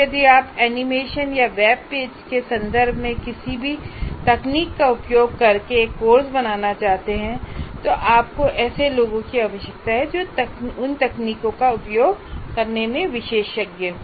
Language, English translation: Hindi, If you want to create using any of the technology in terms of their animations or web pages, anything that you want to do, you require a, some people who are specialists in using those technologies